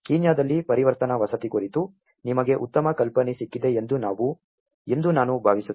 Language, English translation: Kannada, I hope you got a better idea on transitional housing in Kenya